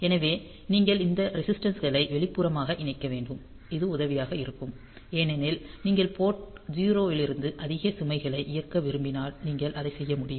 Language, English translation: Tamil, So, you should connect these resistances externally; so, this is helpful because if you want to drive some high load from port 0; so you can do that